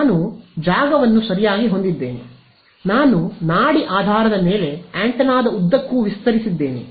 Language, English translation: Kannada, I is a function of space right I have got I expanded I on the pulse basis along the length of the antenna